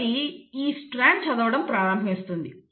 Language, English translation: Telugu, So this strand will start reading